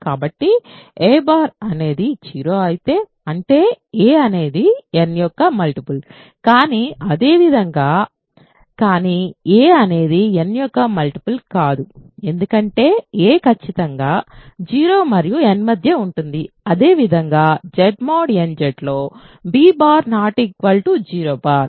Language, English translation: Telugu, So, if a bar is 0, that means, a is a multiple of n, but similarly, but a is not a multiple of n because a is strictly between 0 and n similarly b bar is not equal to 0 bar in Z mod nZ